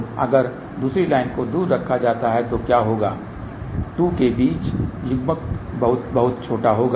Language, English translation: Hindi, So, if the other line is put far away then what will happen the coupling between the 2 will be very, very small